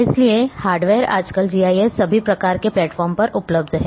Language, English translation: Hindi, So, hardware nowadays GIS is available on all kinds of platforms